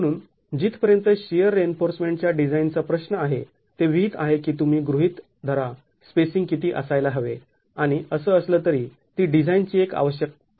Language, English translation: Marathi, So as far as the design for the shear reinforcement is concerned, it's prescribed that you make an assumption of what the spacing is going to be and that's anyway required as a design step